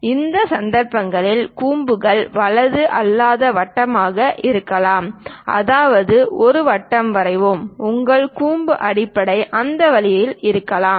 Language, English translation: Tamil, In certain cases cones might be non right circular; that means let us draw a circle, your cone base might be in that way